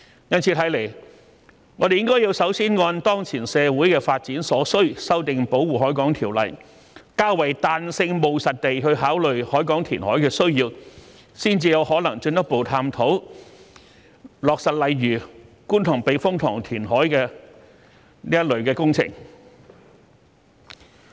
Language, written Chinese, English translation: Cantonese, 由此可見，我們應首先按當前社會的發展所需修訂《條例》，較為彈性務實地考慮海港填海的需要，才有可能進一步探討落實類似觀塘避風塘填海這一類的工程。, As such we should first amend the Ordinance in the light of the current social development needs and consider the need to reclaim the harbour in a flexible and pragmatic manner before we can further explore projects like the Kwun Tong Typhoon Shelter reclamation